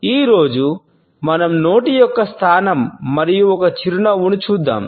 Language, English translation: Telugu, Today, we shall look at the positioning of the mouth and a smiles